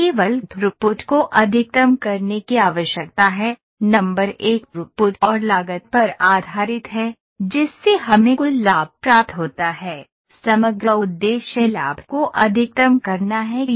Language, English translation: Hindi, We need to just maximize the throughput; number 1 based upon throughput and the cost incurred we get the total profit , the overall aim is to maximize the profit